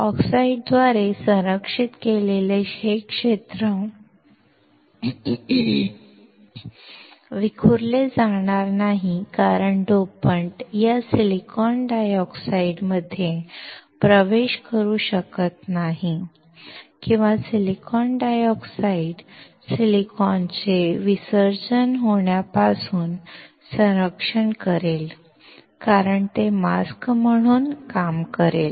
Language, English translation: Marathi, This area which is protected by the oxide will not get diffused since the dopant cannot enter this silicon dioxide or silicon dioxide will protect the silicon from getting diffused because it will act as a mask